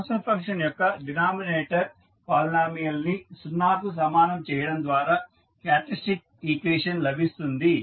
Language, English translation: Telugu, The characteristic equation you can obtain by equating the denominator polynomial of the transform function equal to 0